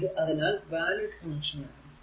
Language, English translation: Malayalam, So, this is invalid connection